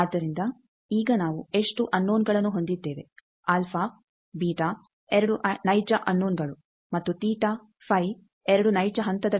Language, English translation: Kannada, So, now how many unknowns we are remaining, alpha beta 2 real unknowns and theta phi 2 real phase thing